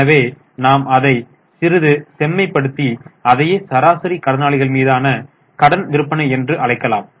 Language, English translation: Tamil, So, we can refine it a bit and say it, call it as credit sales upon average debtors